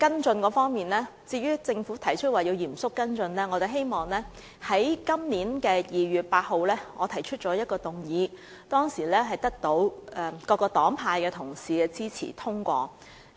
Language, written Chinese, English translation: Cantonese, 至於政府提出會嚴肅跟進新措施的成效，我在今年2月8日提出的一項議案得到各黨派的同事支持並獲得通過。, Speaking of the Governments remark that it will seriously follow up the effectiveness of the new measures I wish to say that I moved a motion on 8 February this year and it was passed with the support of Members from various political parties and groupings